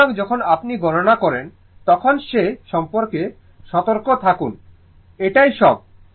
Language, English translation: Bengali, So, when you will do the calculation be careful about that so, that is all